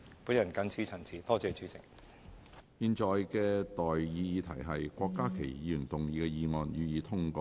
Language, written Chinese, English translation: Cantonese, 我現在向各位提出的待議議題是：郭家麒議員動議的議案，予以通過。, I now propose the question to you and that is That the motion moved by Dr KWOK Ka - ki be passed